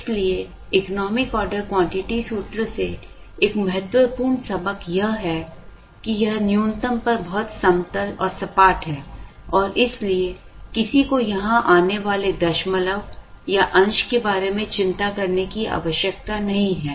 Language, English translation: Hindi, So, the one of the important lessons from the economic order quantity formula is the realization, that it is very flat at the minimum and therefore, one need not worry about the decimal or the fraction coming in here